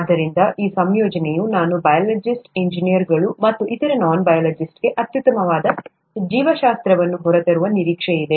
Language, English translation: Kannada, So this combination is expected to bring out the best of biology for non biologist engineers and other non biologists